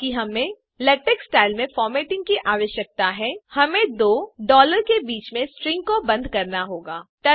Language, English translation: Hindi, Since we need LaTeX style formatting, all we have to do is enclose the string in between two $